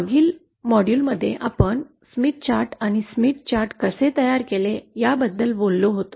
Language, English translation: Marathi, In the previous module we had talked about this Smith Chart and how the Smith Chart is formed